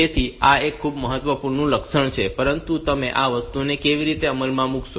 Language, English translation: Gujarati, So, this is a very important feature, but how do you implement this thing